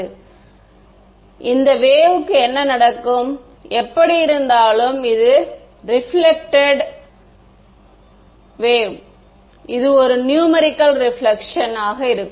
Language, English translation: Tamil, So, what happens to this wave, anyway this reflected there will be a numerical reflection right